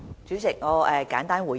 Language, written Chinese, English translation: Cantonese, 主席，我簡單作出回應。, Chairman I will make a brief response